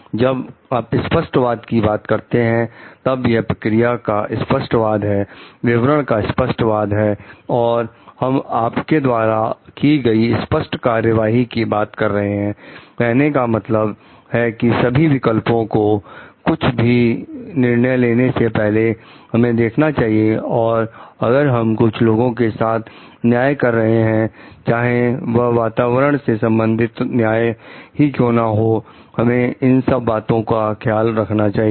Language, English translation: Hindi, When you are talking of fairness then, it is fairness of process fairness of distribution and we are talking of being fair in your actions means giving like looking through all the options before we take a decision and whether we are doing justice to people whether, they were just doing justice to the environmental large these needs to be taken care of